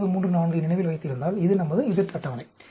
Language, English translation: Tamil, 3, remember this, this is our z table 0